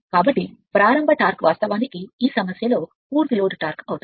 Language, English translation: Telugu, So, starting torque actually will becoming full load torque for this problem right